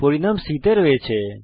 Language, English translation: Bengali, The result of division is stored in c